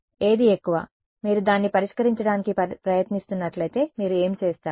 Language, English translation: Telugu, What is the most, what would you do if you are trying to solve it